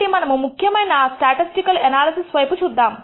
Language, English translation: Telugu, So, let us actually look at some typical analysis statistical analysis